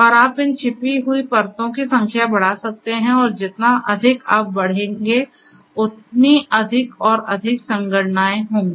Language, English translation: Hindi, And you know you can increase the number of these hidden layers and the more and more you increase, the more and more computations will be there